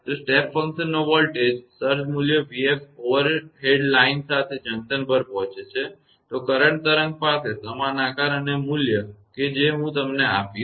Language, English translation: Gujarati, So, if a voltage surge of step function form an amplitude v f approaches the junction along the overhead line, the current wave will have the same shape and amplitude of I will give you what is this